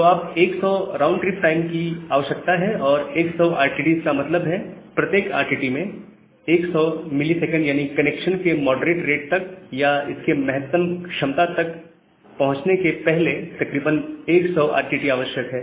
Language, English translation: Hindi, So, you require 100 RTTs and 100 RTTs means with 100 millisecond per RTT, it is approximately 10 second before the connection reaches to a moderate rate or it reaches toward its maximum capacity